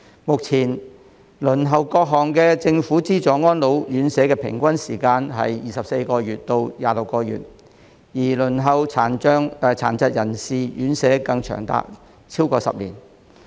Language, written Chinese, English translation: Cantonese, 目前輪候各項政府資助安老院舍的平均時間為24個月至26個月，而輪候殘疾人士院舍更長達超過10年。, At present the average waiting time for government - subvented residential care homes RCHs for the elderly RCHEs ranges from 24 to 26 months; and the waiting time for RCHs for PWDs RCHDs is even over 10 years